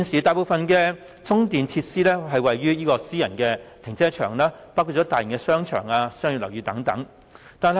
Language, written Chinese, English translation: Cantonese, 大部分的充電設施位於私人停車場，包括大型商場和商業樓宇。, The charging facilities are mostly available at private car parks in large - scale shopping centres and commercial buildings